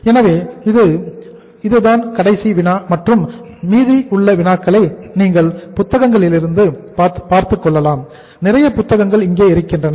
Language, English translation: Tamil, So this will be the last problem and remaining problems you can find in the books, number of books are there